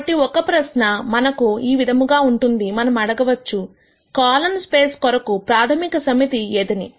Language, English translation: Telugu, So, one question that we might ask is the following; we could ask what could be a basis set for this column space